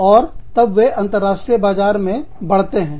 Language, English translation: Hindi, And then, they move on to, international markets